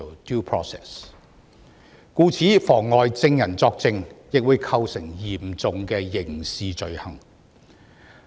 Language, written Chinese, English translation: Cantonese, 故此，妨礙證人作證會構成嚴重的刑事罪行。, Therefore preventing witnesses from giving evidence constitutes a serious criminal offence